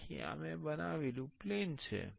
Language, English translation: Gujarati, So, this is the plane I have created